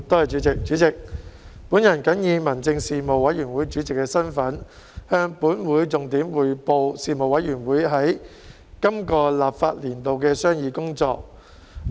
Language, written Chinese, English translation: Cantonese, 主席，我謹以民政事務委員會主席的身份，向本會重點匯報事務委員會在本立法年度的商議工作。, President in my capacity as Chairman of the Panel on Home Affairs the Panel I report to the Council the main areas of deliberation of the Panel during the current legislative session